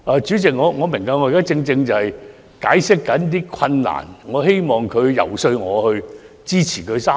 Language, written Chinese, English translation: Cantonese, 主席，我明白，我現正解釋那些困難，我希望局長遊說我支持《條例草案》三讀。, President I get it . I am giving an account of the difficulties . I hope that the Secretary will lobby me to support the Third Reading of the Bill